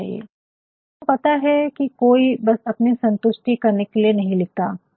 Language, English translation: Hindi, Because, nobody you know you do not write simply to satisfy yourself